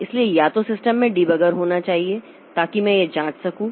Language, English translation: Hindi, So, the system must have a debugger so that I can do this check